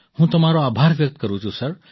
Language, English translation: Gujarati, I thank you sir